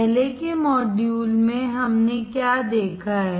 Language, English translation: Hindi, In the earlier modules, what have we seen